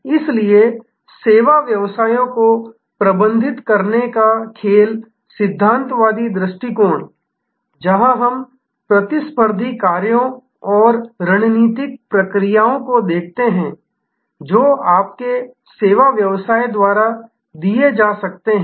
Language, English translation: Hindi, So, the game theoretic perspective of managing service businesses, where we look at competitors actions and strategic responses that can be given by your service business